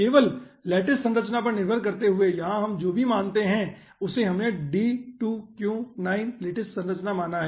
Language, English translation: Hindi, whatever we consider here, we have considered a d2q9 lattice structure